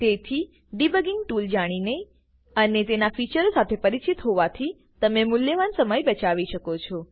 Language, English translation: Gujarati, Hence, knowing a debugging tool and being familiar with its features can help you save valuable time